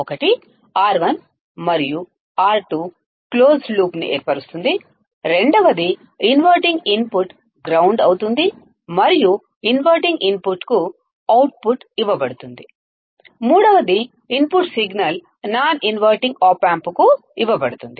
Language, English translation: Telugu, One is R 1 and R 2 forms a closed loop; second the inverting input is grounded and output is fed to the inverting input; third is the input signal is given to the non inverting opamp